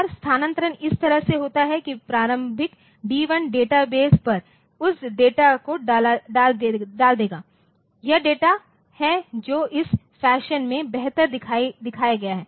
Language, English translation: Hindi, And the transfer takes place like this that the initial D1 it will put that data onto the database so, this is the data it is better shown in this fashion